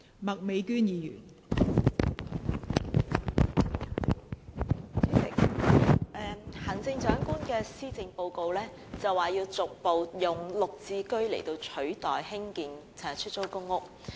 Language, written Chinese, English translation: Cantonese, 代理主席，行政長官在施政報告中表示要逐步以"綠置居"取代興建出租公屋。, Deputy President the Chief Executive has stated in the Policy Address that the Administration will increase the number of GSH flats in stages while reducing the future production of PRH units